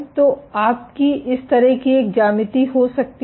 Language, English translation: Hindi, So, you might this kind of a geometry which is